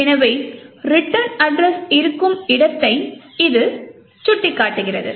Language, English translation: Tamil, So, that it points to the where the return address is present